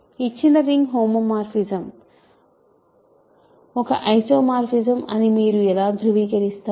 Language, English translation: Telugu, How do you verify that a given ring homomorphism is an isomorphism